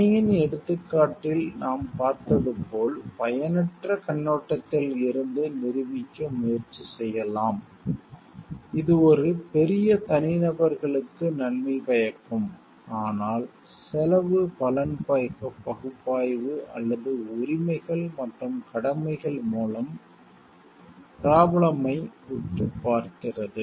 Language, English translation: Tamil, It like we saw in the example of the dam, we may try to prove from the utilitarian perspective like it is good to have the damn because it is beneficial maybe for a larger set of individuals, but finer looking to the problem through the cost benefit analysis or through rights and duties